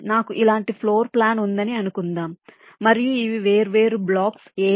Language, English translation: Telugu, suppose i have floor plan like this, and these are the different blocks: a, b, c, d and e